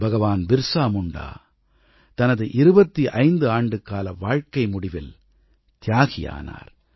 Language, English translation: Tamil, BhagwanBirsaMunda sacrificed his life at the tender age of twenty five